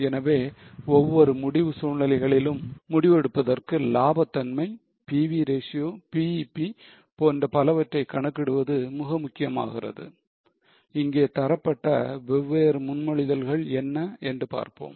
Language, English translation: Tamil, So, for taking decision it becomes important to calculate the profitability, PV ratio, BEP and so on for each of the decision scenarios